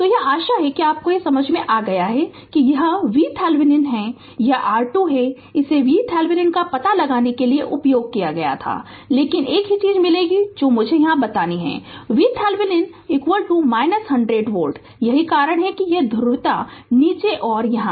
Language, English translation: Hindi, So, this is hope you have understood this is V Thevenin this is R Thevenin it was ask to find out V Thevenin, we will got only one thing I have to tell you here we got V Thevenin is equal to minus 100 volt right that is why this plus polarities at the bottom and minus is here right